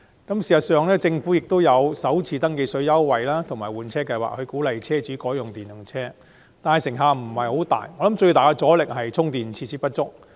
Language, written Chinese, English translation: Cantonese, 政府雖提供電動車首次登記稅寬免措施和推行"一換一"計劃，鼓勵車主改用電動車，但成效不彰，我認為主因在於充電設施不足。, While the Government provides exemption of first registration tax for electric vehicles and a One - for - One Replacement Scheme to encourage car owners to switch to electric vehicles the effects have been ineffective . In my opinion this is mainly attributable to the lack of charging facilities